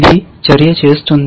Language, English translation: Telugu, This makes action